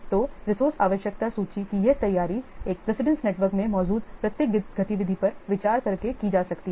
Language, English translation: Hindi, So this preparation of resource requirement list can be done by considering each activity present in a precedence network